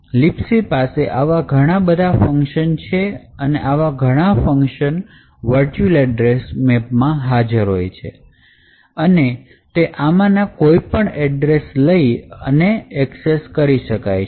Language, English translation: Gujarati, Now LibC has as I mentioned over a thousand different functions and all of this functions are present in this virtual address map and can be access by any of these addresses that are present over here